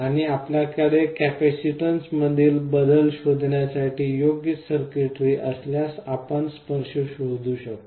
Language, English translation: Marathi, And if you have an appropriate circuitry to detect the change in capacitance, you can detect the touch